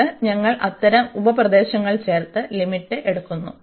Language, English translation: Malayalam, And then we add such sub regions and take the limits